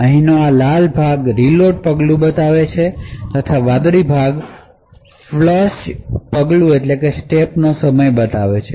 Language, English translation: Gujarati, So the red part over here shows the reload step, and the blue part over here shows the time for the flush step